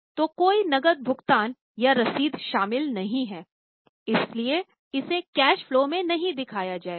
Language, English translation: Hindi, So, no cash payment or receipt is involved so it will not be shown in the cash flow